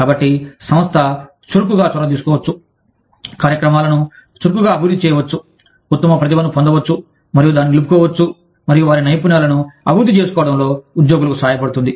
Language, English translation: Telugu, So, the organization, can actively take initiatives, can actively develop programs, to get the best talent, and retain it, and help the employees, develop their skills